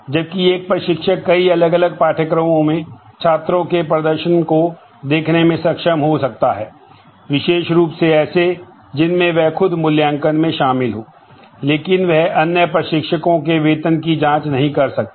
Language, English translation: Hindi, Whereas, an instructor may be able to view the performance of the students in multiple different courses particularly the ones that he or she is involved in evaluation, but she again may not be allowed to check the salary of other instructors